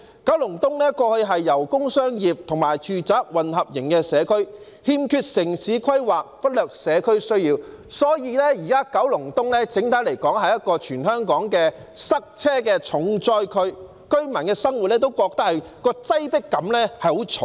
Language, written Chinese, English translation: Cantonese, 九龍東過去是一個工商業和住宅混合型社區，欠缺城市規劃，忽略社區需要，所以，現時九龍東整體來說是全香港塞車的重災區，居民在生活中都感到很重的擠迫感。, Kowloon East used to be a community with a mixture of businessindustrial and residential developments . Urban planning was lacking and the needs of the community were neglected . This explains why Kowloon East is in general hit the hardest by traffic congestion among all the districts in Hong Kong now and the residents have very strong feelings of being crowded in their living